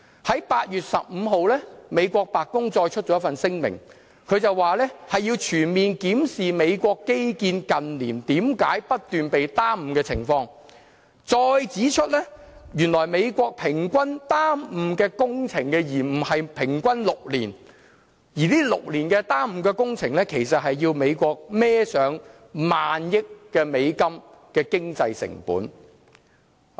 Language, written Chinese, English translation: Cantonese, 在8月15日，美國白宮再發出一份聲明，說要全面檢視美國基建近年為何不斷被耽誤的情況，再指出原來美國工程延誤平均時間是6年，而這6年的工程延誤其實是要美國負上萬億美元的經濟成本。, On 15 August the White House issued another statement saying that it would comprehensively review the reasons for the continuous delay in infrastructure works . The statement estimates that the typical six - year delay in starting infrastructure projects costs the country up to hundreds of millions US dollar in the economic cost